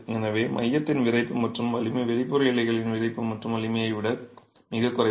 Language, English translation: Tamil, So, the stiffness and strength of the core is far lesser than the stiffness and strength of the outer leaves